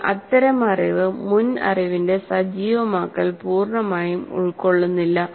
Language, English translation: Malayalam, But that is, that kind of thing doesn't fully constitute the activation of prior knowledge